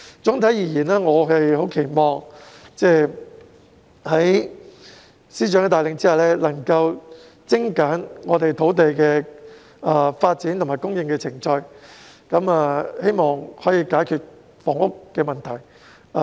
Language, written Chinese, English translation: Cantonese, 總體而言，我們期望在司長的帶領下，土地的發展和供應程序能夠精簡，藉此解決房屋問題。, In conclusion we expect that under the leadership of FS the procedures of land development and supply can be streamlined so as to resolve the housing problem